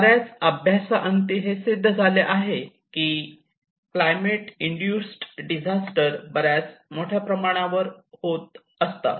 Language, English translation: Marathi, So there have been various studies which actually address that climate induced disaster is on higher end